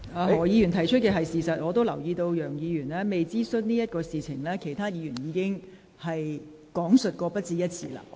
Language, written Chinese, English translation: Cantonese, 何議員提出的是事實，我也留意到楊議員提及的未有諮詢一事，其他議員已講述過不止一次。, Mr HO has stated the fact . I also notice that the point about consultation not having been conducted as put forth by Mr YEUNG has been mentioned by other Members more than once